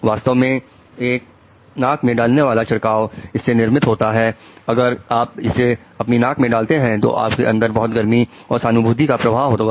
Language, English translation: Hindi, In fact, there is a nasal spray which is being formed that, okay, once you put it, a lot of empathy and warmth will flow in